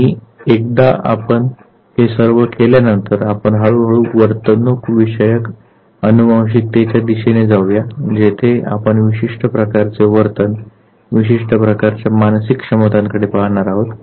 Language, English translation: Marathi, And once we do all this then we would gradually move towards behavioral genetics where we would be taking a specific type of behavior, specific type of psychological abilities